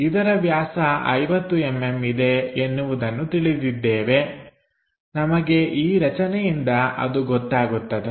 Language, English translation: Kannada, So, this diameter is 50 mm we already know which we will get it from this